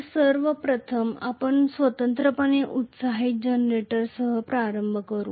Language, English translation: Marathi, So, first of all we will start off with the separately excited generator